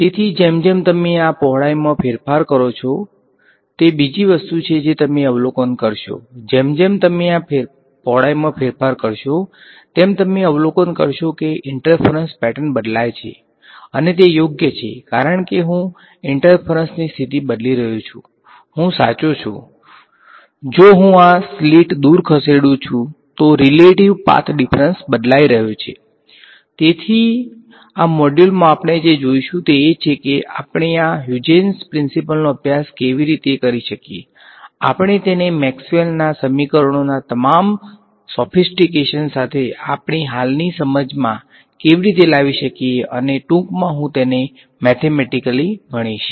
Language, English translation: Gujarati, So, as you vary this width that is the other thing you will observe, as you vary this width you will observe that the interference pattern changes and that makes sense because I am changing the interference condition, I am right the relative path difference is changing as I move this slit away